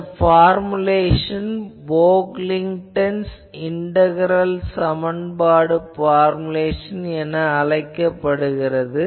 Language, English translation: Tamil, So, this formulation is called Pocklington’s integral equation formulation